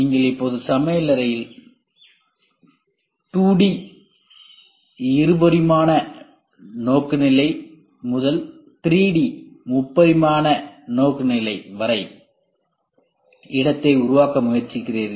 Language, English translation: Tamil, You are now trying to make the space in the kitchen from 2D oriented to 3D oriented